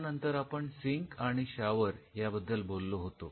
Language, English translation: Marathi, Then we talked about the sink and the shower